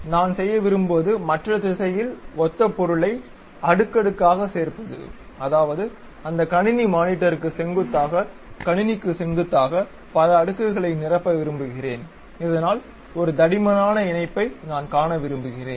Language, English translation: Tamil, What I want to do is add material the similar kind of material like layer by layer in the other direction; that means, perpendicular to the computer normal to that computer monitor, I would like to fill many layers, so that a thick kind of link I would like to see